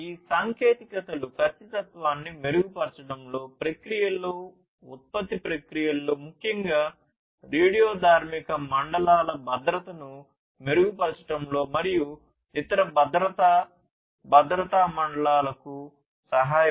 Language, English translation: Telugu, These technologies can also help in improving the precision, providing precision in the processes, in the production processes, providing safety, improving the safety especially for radioactive zones, and different other you know safety critical zones